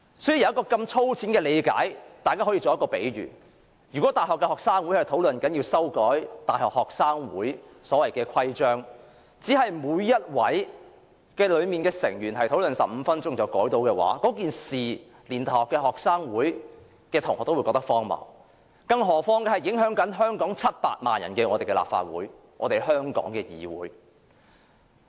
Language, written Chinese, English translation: Cantonese, 這道理是如此粗淺，讓我作一個比喻，如果大學學生會討論要修改其所謂的規章，只讓每名成員討論15分鐘便可修改，此事連大學生也會覺得荒謬，更何況這裏是影響700萬名香港人的立法會，是我們香港的議會。, Let me draw an analogy . If the student union of a university holds a discussion about amending its so - called constitution and only allows each member to speak for 15 minutes before making such amendments even the university students will find this ridiculous not to mention that this is the Legislative Council affecting 7 million Hongkongers . It is our legislature in Hong Kong